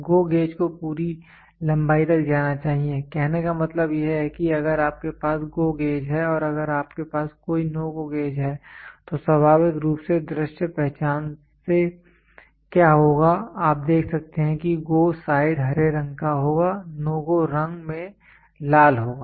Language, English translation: Hindi, The GO gauge must GO to the fullest length so; that means to say if you have a GO gauge and if you have a NO GO gauge, naturally what will happen by visual identity itself you can see GO side will be green in color no GO will be in red in color